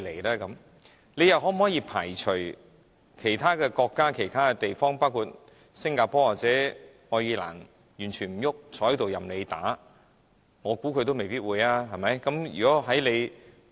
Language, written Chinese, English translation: Cantonese, 我們又可否排除其他國家、地方，包括新加坡或愛爾蘭完全沒有任何動靜，任由香港政府打壓的可能性呢？, Moreover can we be sure that other countries or regions including Singapore or Ireland will do nothing in response to the Hong Kong Governments competition?